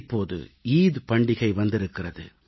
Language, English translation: Tamil, And now the festival of Eid is here